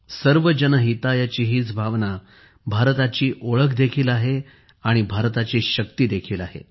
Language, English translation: Marathi, This spirit of Sarvajan Hitaaya is the hallmark of India as well as the strength of India